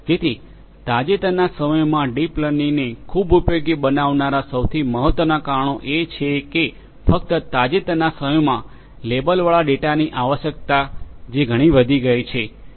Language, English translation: Gujarati, So, the most important reasons that have made deep learning so useful in the recent times is, that only in the recent times, only in the recent times